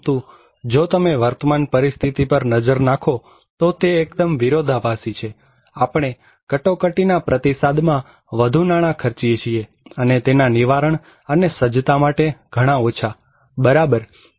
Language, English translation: Gujarati, But if you look into the current situation, it is totally opposite, we are spending more money in emergency response and very less money in prevention and preparedness, right